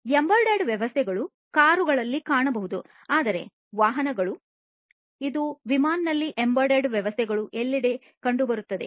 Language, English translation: Kannada, So, embedded systems have found a lot in the cars; that means, you know vehicles, these are found in aircrafts embedded systems are found everywhere